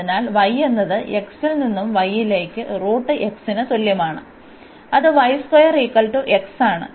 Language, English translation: Malayalam, So, x goes from y